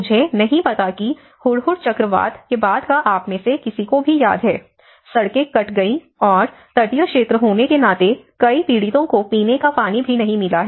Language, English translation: Hindi, I do not know if any of you remember after the Hudhud cyclone, the roads have been cut off and being a coastal area, many victims have not even got drinking water